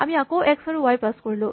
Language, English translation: Assamese, So, we again pass it x and y